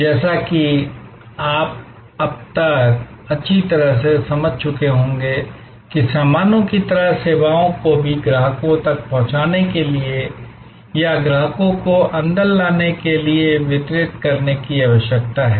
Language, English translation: Hindi, As you would have well understood by now that just like goods, services also need to be distributed to reach out to the customers or to bring customers in